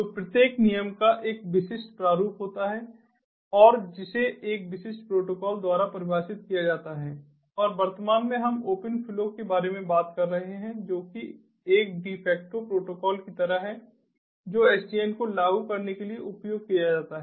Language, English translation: Hindi, so each rule has a specific format and that is defined by a particular protocol and currently we are talking about open flow, which is sort of like a defector protocol that is used for implementing sdn